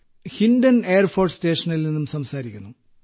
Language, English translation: Malayalam, Speaking from Air Force station Hindon